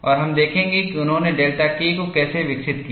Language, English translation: Hindi, And we will see, how they developed delta K effective